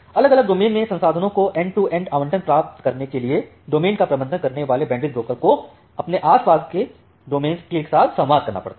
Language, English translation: Hindi, Now in order to achieve an end to end allocation of resources across separate domains, the bandwidth broker managing a domain will have to communicate with its adjacent peers